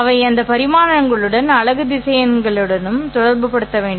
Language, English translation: Tamil, They have to be associated with the unit vectors along those dimensions